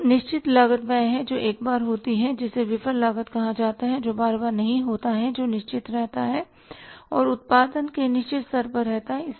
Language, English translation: Hindi, So, fixed cost is the one which happens once which is called a sunk cost which doesn't happen time and again and that remains fixed and same up to a certain level of production